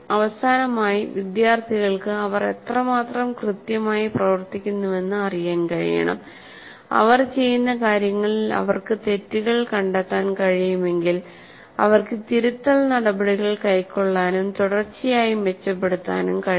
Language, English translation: Malayalam, And finally, the student should be able to know how exactly they are doing and if they can find faults with whatever they are doing, they will be able to take corrective steps and continuously improve